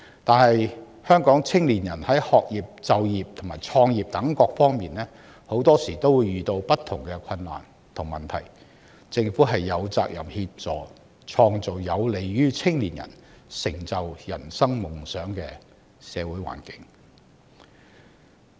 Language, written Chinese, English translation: Cantonese, 可是，香港青年人在學業、就業及創業等各方面往往遇到不同的困難和問題，政府有責任協助創造有利於青年人成就人生夢想的社會環境。, Yet our young people are facing various difficulties and problems in areas such as education employment and business start - up . It is the duty of the Government to help create a favourable social environment for young people to achieve their dreams